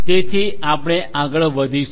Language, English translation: Gujarati, So, we will proceed further